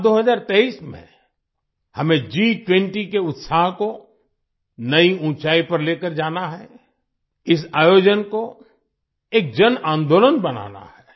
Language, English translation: Hindi, In the year 2023, we have to take the enthusiasm of G20 to new heights; make this event a mass movement